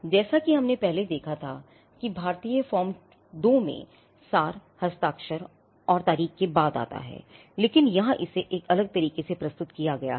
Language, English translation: Hindi, Now, you find the abstract also the abstract as we had just seen in form 2 comes after the signature and date in the Indian form 2, it comes after, but here it is presented in a different way